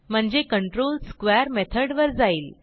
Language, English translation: Marathi, So the control jumps to the square method